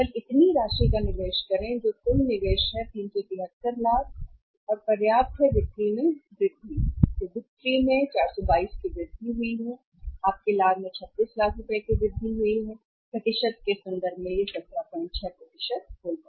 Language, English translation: Hindi, Invest only this much amount which is total investment that is 373 lakhs and get the sufficient amount of sales increase, sales increased by 400 and 22 and increase your profit that is by 36 lakhs and in terms of the percentage it will be 17